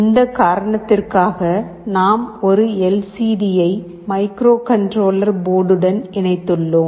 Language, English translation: Tamil, For this reason, we have also interfaced a LCD with the microcontroller board